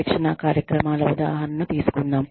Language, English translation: Telugu, Let us take, the example of training programs